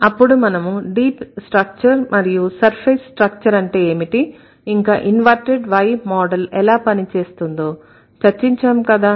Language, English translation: Telugu, Then we did discuss what is deep structure, what is surface structure, and then how the inverted Y model works